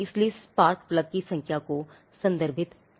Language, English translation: Hindi, So, the spark plugs the number has to be referred